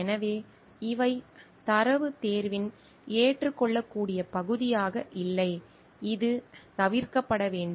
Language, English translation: Tamil, So, these are not acceptable part of data selection and this needs to be avoided